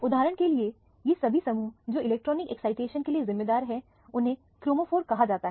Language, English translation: Hindi, For example, all these groups which are responsible for the electronic excitation are called the chromophore